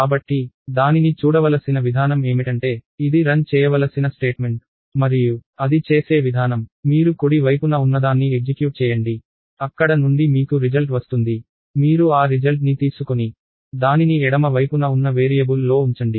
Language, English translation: Telugu, So, the way it should be looked at is, it is a statement it has to executed and the way it is done is, you execute whatever is on the right side, you get a result from there, you take that result and put that result on the variable on the left side